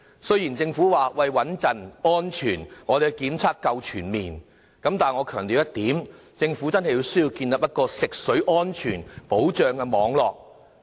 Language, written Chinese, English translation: Cantonese, 雖然政府表示穩妥和安全，當局的檢測夠全面，但我強調一點，政府真的有需要建立一個食水安全保障的網絡，目的為何？, In its reply the Government assures us that the system in place is stable and safe and the monitoring regime is comprehensive . Yet I wish to emphasize that it is really necessary for the Government to set up a fresh water quality assurance network . What is it for?